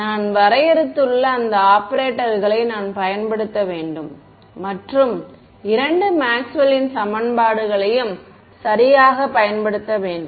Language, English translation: Tamil, I have to use those operators which I have defined and use the two Maxwell’s equations ok